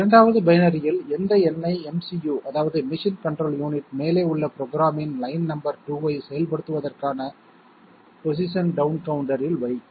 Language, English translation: Tamil, 2nd, what number in binary will the MCU that means machine control unit put into the position down counter for executing line number 2 of program above